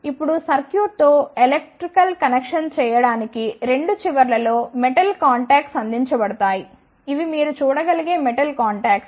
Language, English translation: Telugu, Now, to make the electrical connection with the circuit the metallic contacts are provided at both the ends these are the metallic [con/contacts] contacts you can see